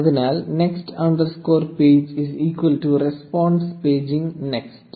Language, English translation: Malayalam, So, next underscore page is equal to response paging next